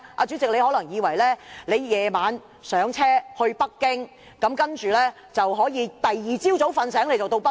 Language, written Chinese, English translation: Cantonese, 主席，你可能以為晚上登車，第二天早上醒來就可以到達北京。, President do not think that if you board the train at night you will arrive in Beijing when you wake up the next morning